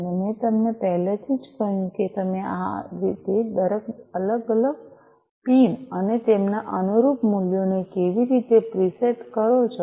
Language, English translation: Gujarati, And already I told you how you preset each of these different pins, you know, and their corresponding values